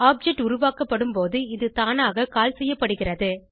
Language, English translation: Tamil, It is automatically called when an object is created